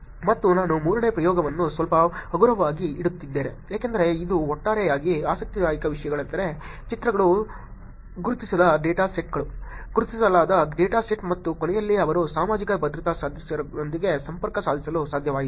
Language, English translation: Kannada, And I am keeping the third experiment little light because this is in total the interesting things were pictures, un identified data sets, identified data set and at the end they were able actually do connected to social security member also